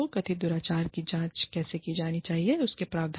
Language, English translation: Hindi, Provisions for, how the alleged misconduct, should be investigated